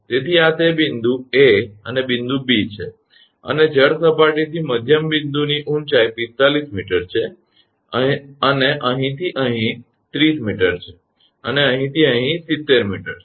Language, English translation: Gujarati, So, this is that a point A and point B and from the water level midpoint height is 45 meter and from here to here is 30 meter and from here to here is 70 meter